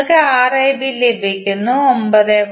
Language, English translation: Malayalam, You get, Rab is nothing but 9